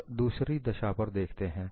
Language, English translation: Hindi, Now, let us look at another case